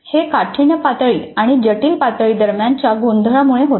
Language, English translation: Marathi, These results from a confusion between difficulty level and complex level